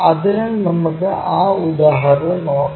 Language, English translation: Malayalam, So, let us look at that example